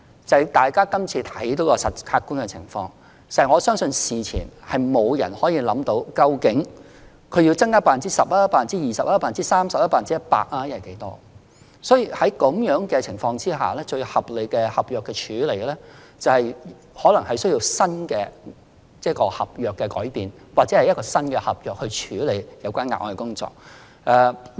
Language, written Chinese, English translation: Cantonese, 就今次的客觀情況而言，我相信事前沒有人可以決定究竟他們要增加 10%、20%、30%、100% 或某個百分比的人手，所以，在這種情況下，最合理的合約處理方法，可能需要改變合約內容或擬訂新合約來處理有關的額外工作。, Insofar as the objective circumstances of the recent case are concerned I believe no one could determine beforehand if contractors should increase whether 10 % 20 % 30 % 100 % or a certain percentage of manpower . Therefore the most reasonable approach for dealing with the contents of contracts under such circumstances will probably be changing the existing contents of contracts or drawing up new contracts to cater for the additional workload in question